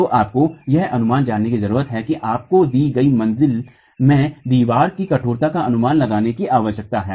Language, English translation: Hindi, So, you need to know an estimate, you need to have an estimate of the stiffnesses of the walls in a given story